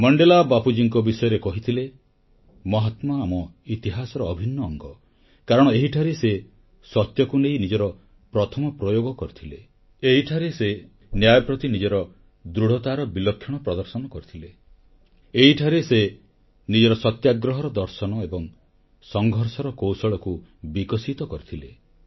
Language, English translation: Odia, Mandela said this about Bapu "Mahatma is an integral part of our history, because it was here that he used his first experiment with truth; It was here, That he had displayed a great deal of determination for justice; It was here, he developed the philosophy of his satyagraha and his methods of struggle